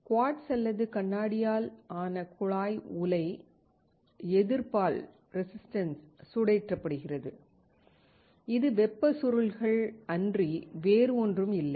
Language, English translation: Tamil, The tubular reactor made out of quartz or glass heated by the resistance, which is nothing, but heating coils